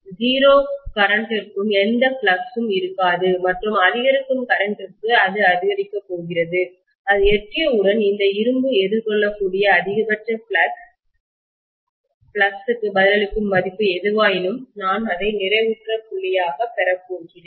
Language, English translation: Tamil, For 0 current, there will not be any flux and for increasing current, it is going to increase and once it reaches whatever is the value which is responding to the maximum flux that can be encountered by this iron, I am going to have that as the saturation point, right